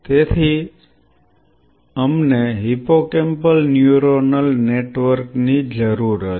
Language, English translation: Gujarati, So, we needed a hippocampal neuronal network